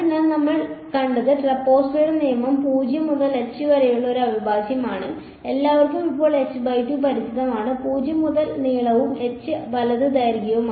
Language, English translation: Malayalam, So, what we saw was the trapezoidal rule was for an integral from 0 to h; everyone is familiar by now h by 2 and the length from at 0 and the length at h right